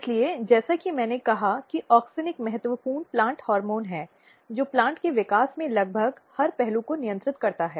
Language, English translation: Hindi, So, as I said that auxin is very very important hormone plant hormone which undergo the process of; which regulates almost every aspects of plant development